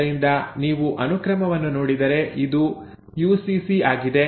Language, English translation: Kannada, So if you look at the sequence this is UCC